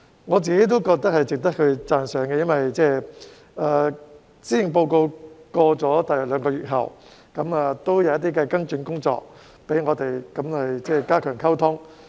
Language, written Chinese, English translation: Cantonese, 我自己亦覺得是值得讚賞的，因為在施政報告發表約兩個月後，政府亦採取了跟進工作，加強溝通。, I myself also find this commendable because around two months after the delivery of the Policy Address the Government has undertaken follow - up work and strengthened communication